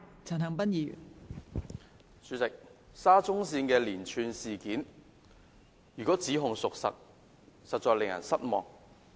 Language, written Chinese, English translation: Cantonese, 代理主席，沙田至中環線的連串事件，如果指控屬實，實在令人失望。, Deputy President regarding the series of incidents surrounding the Shatin to Central Link SCL it will be disappointing if the allegations are found to be true